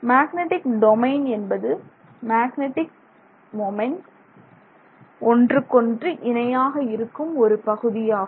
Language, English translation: Tamil, The magnetic domain is the region over which the magnetic moments are cooperatively aligning with respect to each other